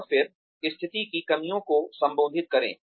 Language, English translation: Hindi, And then, address the shortcomings of the situation